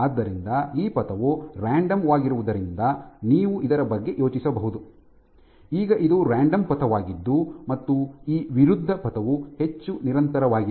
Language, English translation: Kannada, So, you can think about it as this trajectory being random this is a random trajectory versus this being more persistent